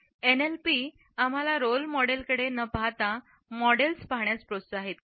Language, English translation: Marathi, NLP encourages us to look at models instead of looking at role models